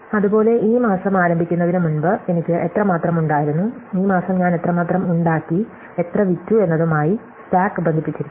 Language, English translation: Malayalam, Similarly, the stock is connected to how much I had before I started this month, how much I made this month and how much I sold